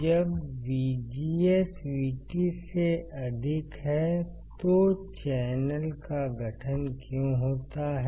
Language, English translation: Hindi, But when my VGS is greater than VT, then there will be formation of channel